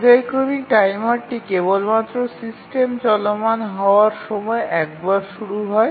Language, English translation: Bengali, The periodic timer is start only once during the initialization of the running of the system